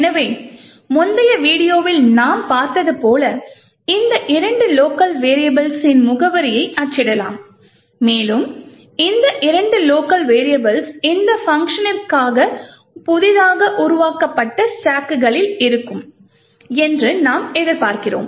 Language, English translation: Tamil, So, as we have seen in the previous video we could print the address of this two local variables and as we would expect this two local variables would be present in the newly formed stacks in for this function